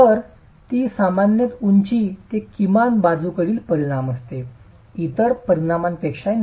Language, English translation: Marathi, So that's typically height to least lateral dimension, not the other dimension